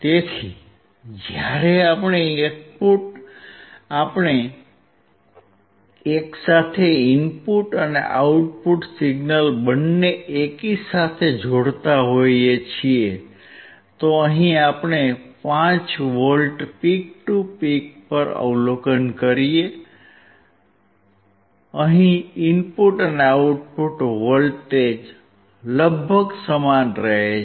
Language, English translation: Gujarati, So, when we see both input and output signals simultaneously, what we observe here is at 5V peak to peak, your input and output voltage remains almost same